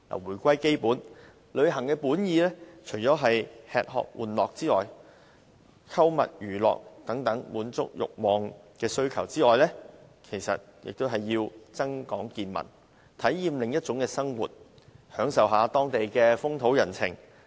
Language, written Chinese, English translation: Cantonese, 回歸基本，旅行的本意不但是為了滿足吃喝玩樂、購物娛樂等慾望或需求，也是為了增廣見聞、體驗另一種生活，以及享受當地的風土人情。, Let us get back to the basics . People travel not just for feasting pleasure - seeking shopping and entertainment; they also want to enhance their knowledge experience another way of lifestyle as well as learn about the foreign culture and meet local people